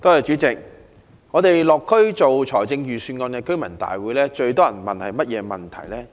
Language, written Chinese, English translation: Cantonese, 主席，當我們落區就財政預算案舉行居民大會時，市民最關注甚麼措施？, President during our residents meetings in districts what is the prime concern of the people over the Budget?